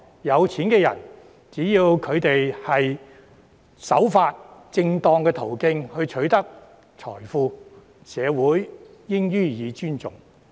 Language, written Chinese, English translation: Cantonese, 有錢人只要守法，循正當途徑取得財富，社會應予以尊重。, As long as rich people abide by the law and obtain their wealth through proper channels society should show respect for this